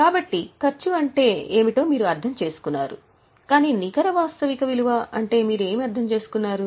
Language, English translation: Telugu, So, you have understood what is meant by cost, but what do you understand by net realizable value